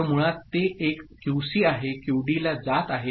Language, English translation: Marathi, So, basically it is a QC is going to QD